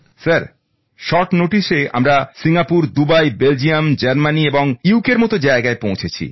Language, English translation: Bengali, Sir, for us on short notice to Singapore, Dubai, Belgium, Germany and UK